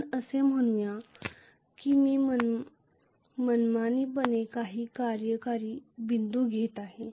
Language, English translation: Marathi, Let us say I am just arbitrarily taking some operating point